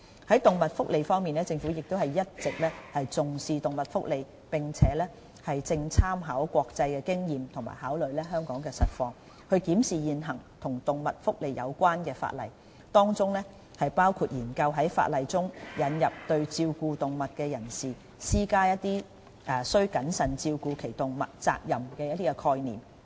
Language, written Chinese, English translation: Cantonese, 在動物福利方面，政府一直重視動物福利，正參考國際經驗及考慮香港實況，檢視現行與動物福利有關的法例，當中包括研究在法例中引入對照顧動物的人士施加須謹慎照顧其動物責任的概念。, As regards animal welfare the Government attaches great importance to this issue and is now studying the existing legislation related to animal welfare in the local context by drawing reference from international experiences in which we will explore the introduction of a concept of positive duty of care on animal keepers